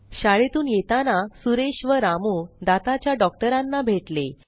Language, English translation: Marathi, On the way back from school Suresh and Ramu meet the dentist